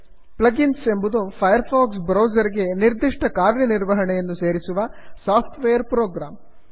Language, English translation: Kannada, A plug in is a software program that, adds a specific functionality to the firefox browser However, plug ins different from extensions